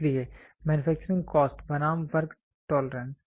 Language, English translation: Hindi, So, manufacturing cost versus work piece work tolerance